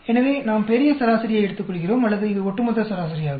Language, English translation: Tamil, So, we take the grand average or this is the overall average